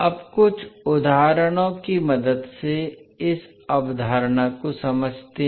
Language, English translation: Hindi, Now, let us understand this concept with the help of few examples